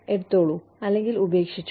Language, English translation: Malayalam, Take it or leave it